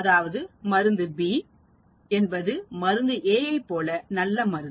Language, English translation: Tamil, That means, drug B is as good as drug A